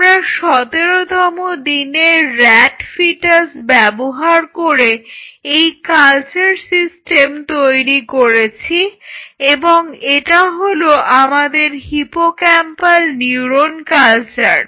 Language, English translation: Bengali, So, we developed a culture system, using fetal 17 day rat and this is our hippocampal neuron culture